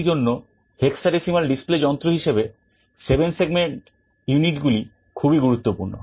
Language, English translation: Bengali, Therefore, the 7 segment units are very useful as a hexadecimal display device